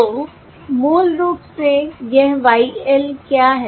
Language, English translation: Hindi, so this is basically what is this YL